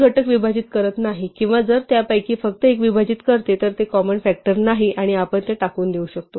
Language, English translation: Marathi, If it divides neither or if it divides only one of them then it is not a common factor and we can discard